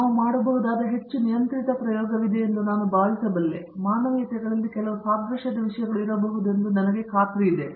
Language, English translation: Kannada, There may be I think there is some much more controlled experiment that we do, I am sure some analogues thing may be there in humanities